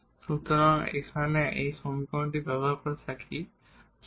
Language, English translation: Bengali, So, here this using this equation which we call as equation number 1